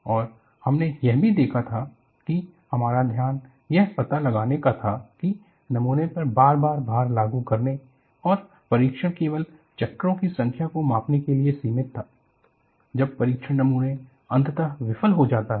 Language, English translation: Hindi, And we had also looked at, the focus was to find out, apply a repeated loading on the specimen and the test was confined to measuring only the number of cycles, when the test specimen fails eventually